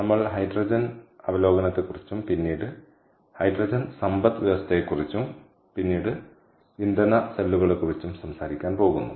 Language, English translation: Malayalam, ok, so we are going to talk about hydrogen overview, ah, hydrogen economy, and then about fuel cells